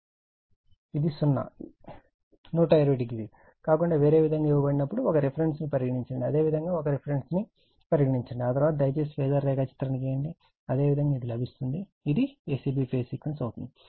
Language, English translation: Telugu, This is whenever apart from zero 120 if it is given like this, you take a reference you take a reference, after that you please draw the phasor diagram, then you will get it this is a c b sequence